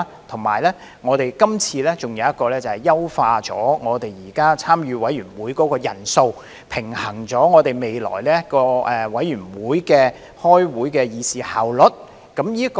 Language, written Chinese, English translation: Cantonese, 此外，我們今次有一項修訂，是為優化現時參與委員會的人數，平衡未來委員會開會時的議事效率。, Moreover one of the amendments put forth this time seeks to enhance the membership size of committees with a view to balancing the efficiency of the conduct of committee meetings in the future